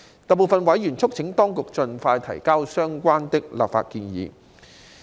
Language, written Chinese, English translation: Cantonese, 大部分委員促請當局盡快提交相關的立法建議。, Most members urged the Administration to submit the relevant legislative proposal as soon as possible